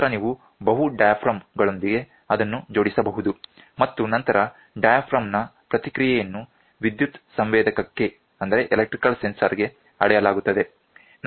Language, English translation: Kannada, Then you can attach it with multiple diaphragms, then, the diaphragm response is measured to an electrical sensor we saw